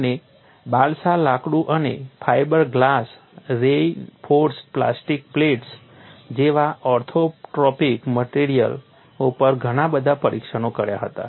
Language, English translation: Gujarati, He conducted a series of test on orthotropic materials such as balsa wood and fiber glass reinforced plastic plates